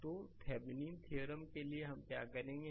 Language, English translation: Hindi, So, for Thevenin’s theorem, what we will do